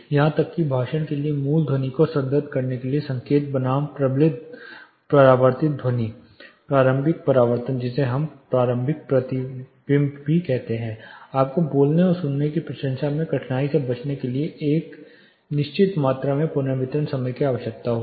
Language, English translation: Hindi, Even for speech in order to reinforce the original sound this signal versus the reienforce reflected sound initial reflections we call or early reflection you need certain amount of reverberation in order to avoid difficult in speaking for the speaker and an appreciation of listening for the listener side